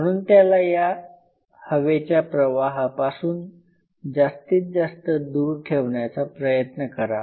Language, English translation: Marathi, So, try to keep it away from that air current zone and as far as possible